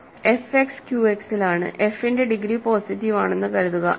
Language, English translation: Malayalam, So, f X is in Q X, and suppose degree of f is positive